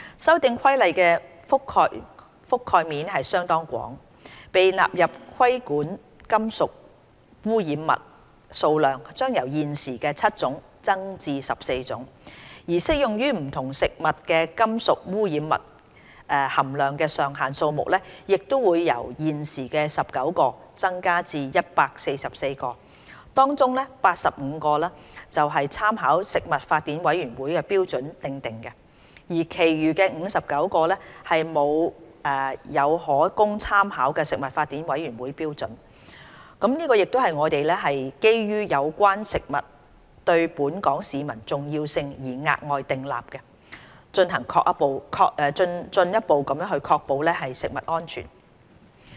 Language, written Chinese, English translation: Cantonese, 《修訂規例》的覆蓋面相當廣，被納入規管的金屬污染物數量將由現時的7種增至14種，而適用於不同食物的金屬污染物含量上限數目會由現時19個增至144個，當中85個是參考食品法典委員會標準訂定的，而其餘59個沒有可供參考的食品法典委員會標準，這亦是我們基於有關食物對本港市民的重要性而額外訂立的，進一步確保食物安全。, The Amendment Regulation covers a very wide scope . The number of metallic contaminants being brought under regulation will increase from the current 7 to 14 and the number of maximum levels for metallic contaminants applicable to various foodstuffs will increase from the current 19 to 144 among which 85 levels are established by drawing reference from the Codex standards whereas the remaining 59 levels are without any available Codex standard as reference . Such levels are additionally established on the basis of the significance of relevant food to the local population with a view to further assuring food safety